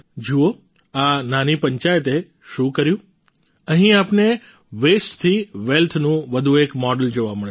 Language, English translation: Gujarati, See what this small panchayat has done, here you will get to see another model of wealth from the Waste